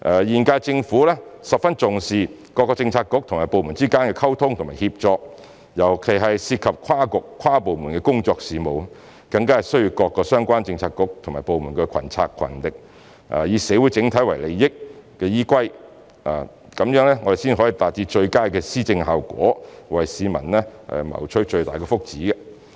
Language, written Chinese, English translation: Cantonese, 現屆政府十分重視各政策局和部門之間的溝通和協作，尤其是涉及跨局、跨部門的工作事務，更需要各相關政策局和部門群策群力，以社會整體利益為依歸，這樣才能達致最佳的施政效果，為市民謀取最大的福祉。, The current - term Government attaches great importance to the communication and coordination across Policy Bureaux and departments especially when it comes to cross - bureau or - departmental affairs which require greater concerted efforts of related bureaux and departments with the overall interests of society being the prime consideration . Only by doing so can we achieve the best governance and bring the greatest benefits to the public